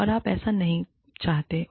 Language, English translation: Hindi, And, you do not want that